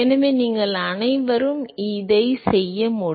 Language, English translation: Tamil, So, you should all do this